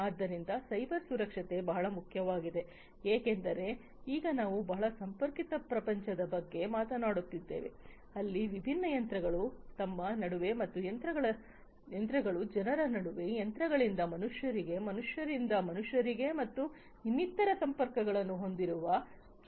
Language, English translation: Kannada, So, cyber security is very important because now we are talking about a very connected world, where a world where different machines are connected between themselves and machines to people, machines to humans, humans to humans, and so on